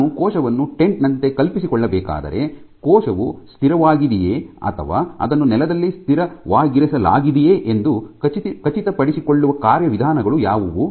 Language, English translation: Kannada, If I want to imagine the cell as a tent what mechanisms are: what are the requirements for ensuring that the cell is stable or it is stabling positioned in the ground